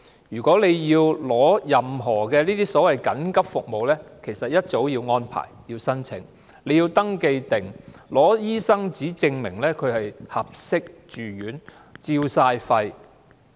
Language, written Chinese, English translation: Cantonese, 如要獲得任何所謂緊急服務，須預先申請，並提供肺部 X 光片及醫生紙證明有關被照顧者適合住院。, In order to obtain any emergency services prior application is always needed . Chest X - ray films and a doctors proof will also be required to show that the care receiver is suitable for residential care